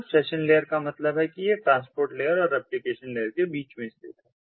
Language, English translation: Hindi, so session layer means that it lies between the transport layer and the application layer